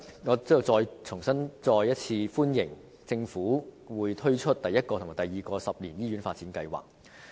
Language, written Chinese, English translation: Cantonese, 我在此再次歡迎政府推出第一個及第二個十年醫院發展計劃。, Here I once again welcome the introduction of the first and the second 10 - year Hospital Development Plans by the Government